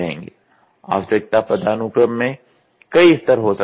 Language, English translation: Hindi, The need hierarchy may consists of several levels